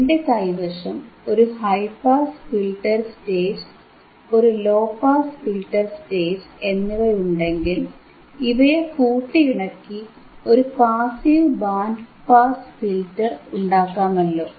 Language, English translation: Malayalam, So,, I have a high pass filter stage, I have a low pass filter stage, and if I integrate high pass with low pass, if I integrate the high pass stage with low pass stage I will get a passive band pass filter, right